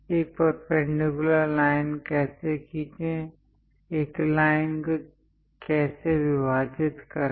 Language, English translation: Hindi, How to draw perpendicular line, how to divide a line